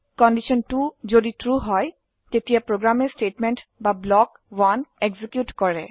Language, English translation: Assamese, If condition 2 is true, then the program executes Statement or block 1